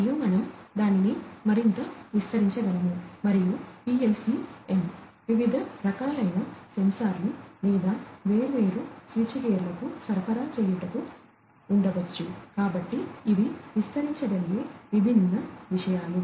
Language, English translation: Telugu, And, we could even extend it further and we could have PLC n catering to different other kinds of sensors or different switch gears etcetera, you know; so different things we could extend